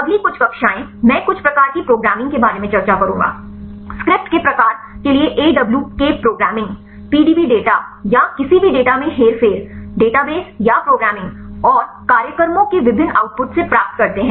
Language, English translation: Hindi, The next few classes, I will discuss about the some sort of the programming; the awk programming to kind of script to get the; manipulate the PDB data or any data, obtain the database or from the programming and different output of the programs